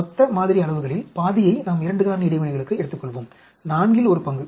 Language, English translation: Tamil, We will take half of total sampled size for 2 factor interactions, one fourth